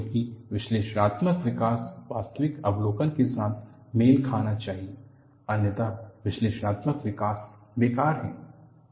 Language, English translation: Hindi, Because analytical development should match with actual observation; otherwise the analytical development is useless